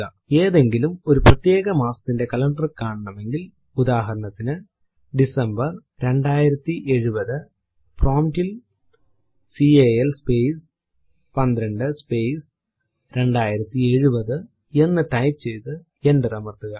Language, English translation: Malayalam, To see the calendar of any arbitrary month say december 2070 type at the prompt cal space 12 space 2070 and press enter